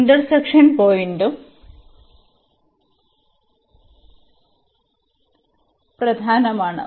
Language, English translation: Malayalam, The point of intersection that is also important